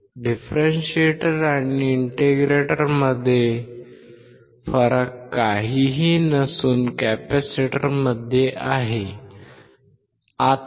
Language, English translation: Marathi, The difference between the differentiator and integrator is nothing, but the capacitor